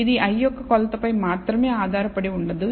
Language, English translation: Telugu, It is not dependent only on the i th measurement